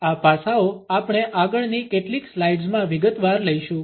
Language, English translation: Gujarati, These aspects we would take up in detail in the next few slides